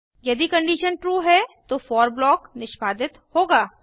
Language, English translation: Hindi, If the condition is true then the for block will be executed